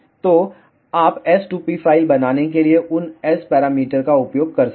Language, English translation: Hindi, If they do not provide you s2p file, they provide you S parameters